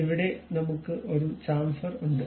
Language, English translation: Malayalam, Here we have a Chamfer